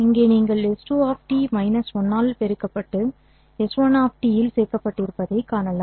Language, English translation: Tamil, Here you can see that S 2 of T has been multiplied by minus 1 and added to S 1 of T